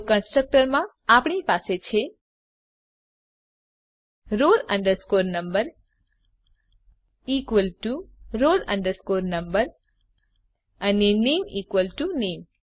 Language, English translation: Gujarati, So inside the constructor we have: roll number equal to roll number and name equal to name